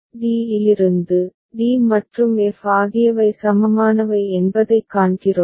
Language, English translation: Tamil, So, d here, we can see that d and f are equivalent